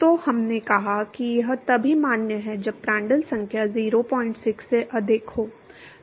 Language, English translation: Hindi, So, we said that this is valid only when Prandtl number is greater than 0